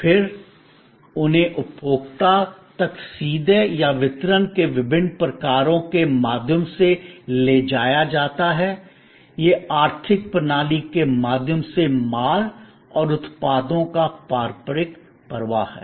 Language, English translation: Hindi, And then, they are taken to the consumer either directly or through different kinds of channels of distribution, this is the traditional flow of goods and products through the economic system